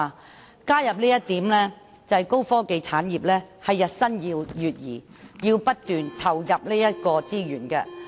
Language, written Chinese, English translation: Cantonese, 我加入這一點，旨在說明高科技產業日新月異，要不斷投入資源。, By adding this I seek to illustrate the need of the ever - evolving high - tech industries for continuous input of resources